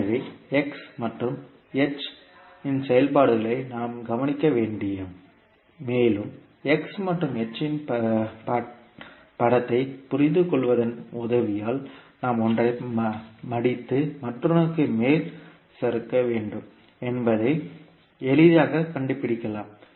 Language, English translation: Tamil, So we have to look at the functions x and h and we can with the help of just understanding the sketch of x and h, we can easily find out which one we have to fold and slide over the other one